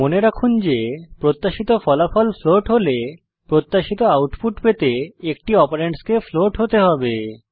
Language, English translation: Bengali, Keep in mind that when the expected result is a float, one of the operands must be a float to get the expected output